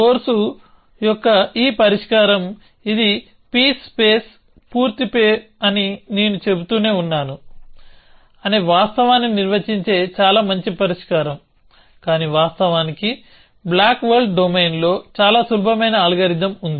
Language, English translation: Telugu, So, this solution of course, is a very nice solution which sought of defines the fact that I kept saying it is peace space complete, but in fact, in the blocks world domain, there is a very simple algorithm